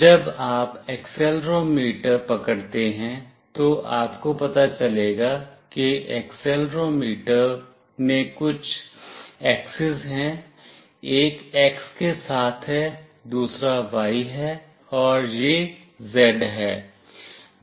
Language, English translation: Hindi, When you hold the accelerometer, you will find out that that accelerometer is having certain axes, one is along X, another is Y and this one is Z